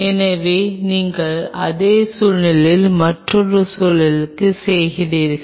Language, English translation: Tamil, So, you do the same experiment with another situation